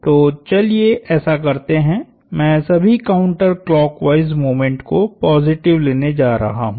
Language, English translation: Hindi, So, let us do that, I am going to take all counter clockwise moments positive